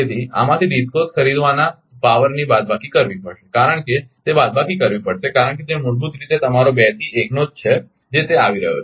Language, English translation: Gujarati, So, minus this DISCOs buying power from this one because it has to be minus because, it is basically your from 2 to 1 it is coming